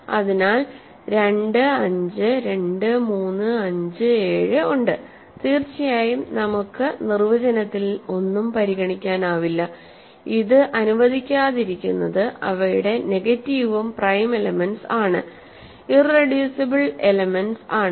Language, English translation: Malayalam, So, there are 2, 5, 2, 3, 5, 7 so on and of course, we can also consider nothing in the definition, disallows these allows negatives of these are also prime elements or irreducible elements ok